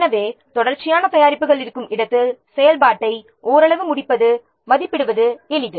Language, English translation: Tamil, So, where there is a series of products, partial completion of activity is easier to estimate